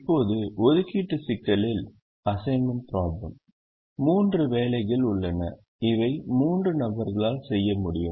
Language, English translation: Tamil, in the assignment problem let's say there are three jobs which can be done by three people